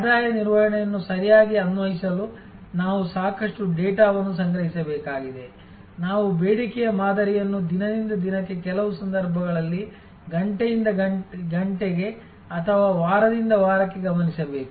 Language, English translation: Kannada, We have to gather lot of data to apply revenue management correctly; we have to observe the demand pattern day by day in some cases, hour by hour or week by week